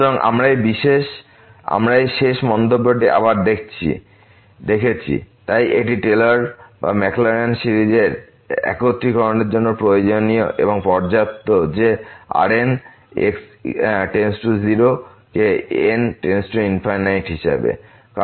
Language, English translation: Bengali, So, what we have seen this last remark again, so it is necessary and sufficient for the convergence of the Taylor’s or the Maclaurin series that goes to 0 as goes to infinity